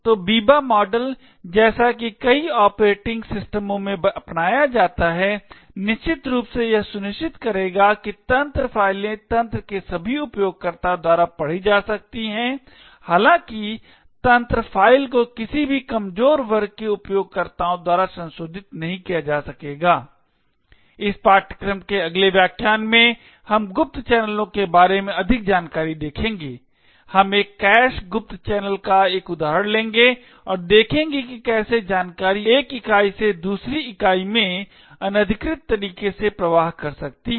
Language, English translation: Hindi, So the Biba model as such is adopted in several operating systems, essentially it would ensure that system files can be read by all users in the system, however the system files will not be able to be modified by any of the underprivileged users, in the next lecture in this course we will look at more details about covert channels, we will take an example of a cache covert channel and see how information can flow from say one entity to another entity in an unauthorised manner